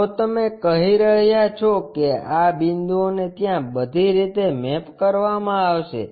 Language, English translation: Gujarati, If you are saying these points will be mapped all the way there